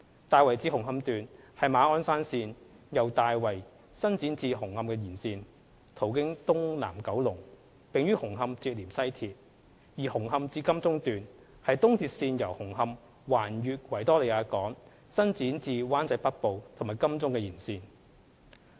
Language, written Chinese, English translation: Cantonese, 大圍至紅磡段是馬鞍山線由大圍伸展至紅磡的延線，途經東南九龍，並於紅磡連接西鐵；而紅磡至金鐘段是東鐵線由紅磡橫越維多利亞港伸展至灣仔北部和金鐘的延線。, Tai Wai to Hung Hom Section is the extension of Ma On Shan Line from Tai Wai via Southeast Kowloon to Hung Hom where it will join West Rail Line; and Hung Hom to Admiralty Section is an extension of the existing East Rail Line from Hung Hom across the Victoria Harbour to Wan Chai North and Admiralty